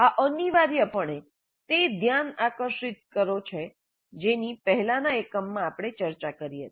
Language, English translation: Gujarati, This is essentially the gain attention that we discussed in the earlier unit